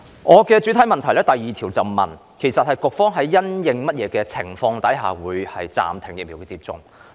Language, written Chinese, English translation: Cantonese, 我的主體質詢第二部分問及局方因應甚麼情況暫停疫苗接種。, Part 2 of my main question asks the Bureau about the circumstances governing the suspension of vaccination